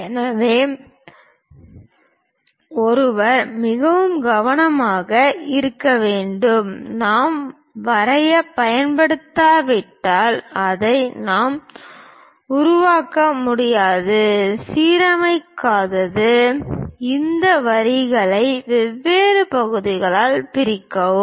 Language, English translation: Tamil, So, one has to be very careful; unless we use drafter, we cannot really construct this; non alignment may divide these line into different parts